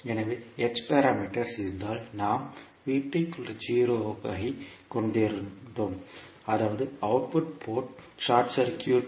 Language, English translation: Tamil, So in case of h parameters we were having V2 is equal to 0 that is output port was short circuited